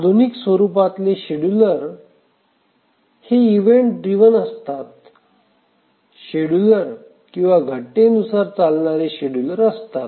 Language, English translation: Marathi, The ones that are much more sophisticated are the event driven schedulers